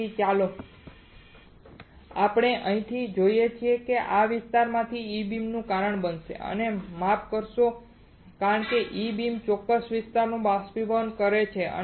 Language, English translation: Gujarati, So, let us let us see from here it will cause E beam from this particular area and it will oh sorry because E beam evaporation the particular area